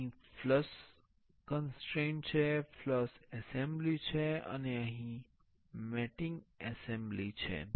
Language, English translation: Gujarati, Here there is a flush constraint, the flush assembly and here there is a mating assembly